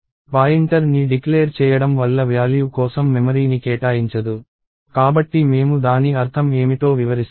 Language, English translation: Telugu, So, declaring a pointer does not allocate memory for the value, so let me explain what I mean by that